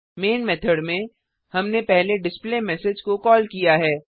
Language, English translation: Hindi, In the Main method, we have first called the displayMessage